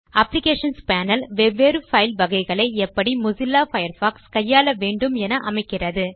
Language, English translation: Tamil, The Applications panel lets you decide how Mozilla Firefox should handle different types of files